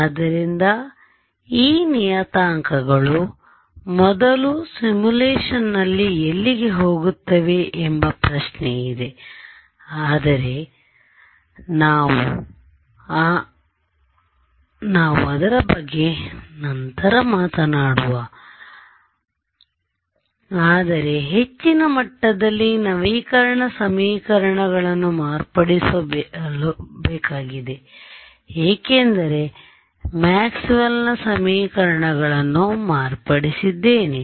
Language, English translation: Kannada, So, we will have a another set of discussion on implementation details there we will talk about it, but at a high level what will happen is the update equations have to be modified because I have modified Maxwell’s equations